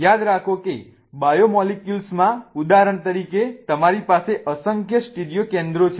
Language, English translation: Gujarati, Remember that in biomolecules for example you have really numerous stereo centers